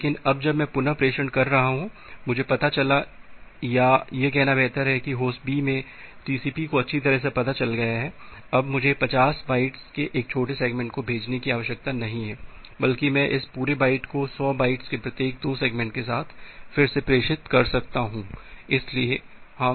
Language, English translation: Hindi, But now whenever I am doing the retransmission, I found out or better to say that TCP at host B finds out that well, now I do not need to send a small segment of 50 byte, rather I can retransmit this entire byte with 2 segments of 100 bytes each